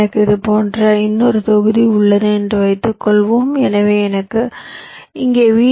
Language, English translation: Tamil, lets say, suppose i have another block here like this, so i require vdd connection